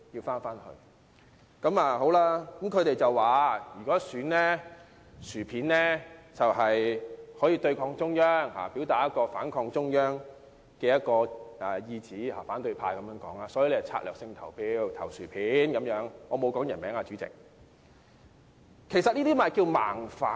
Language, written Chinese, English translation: Cantonese, 反對派說到，如果選"薯片"可以對抗中央，表達反抗中央的意向，所以會策略性地投票給"薯片"——代理主席，我沒有提任何人姓名——其實，這就是"盲反"。, As mentioned by the opposition camp voting for Mr Pringles is a way to defy the Central Authorities and express their confrontational attitude toward the Central Government . For this reason they would allocate their votes strategically for Mr Pringles―Deputy President I have not named any candidate . In fact this is simply blind opposition